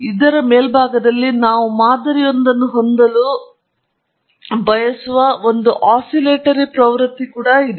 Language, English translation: Kannada, On top of it, we also have an oscillatory trend which we would like to model